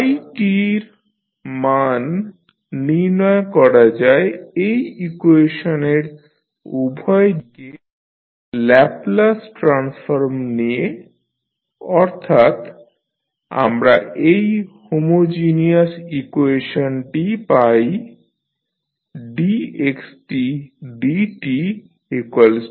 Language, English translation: Bengali, The value of phi t can be determined by taking the Laplace transform on both sides of this equation that is the homogeneous equation we have got that is dx by dt is equal to A xt